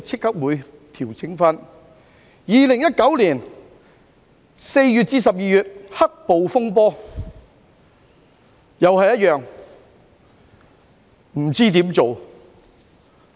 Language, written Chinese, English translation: Cantonese, 對於2019年4月至12月的"黑暴"風波，政府同樣不知如何處理。, Regarding the black - clad mob unrest happened between April and December 2019 the Government did not know how to deal with it either